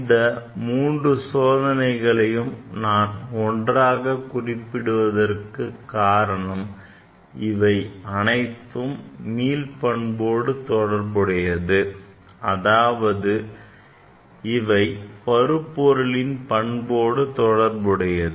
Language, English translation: Tamil, These three experiment, I mentioned here together, because they are related with the elasticity; it is related with the properties of the matter